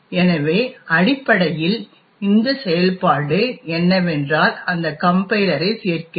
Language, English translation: Tamil, This function is something which the compiler adds in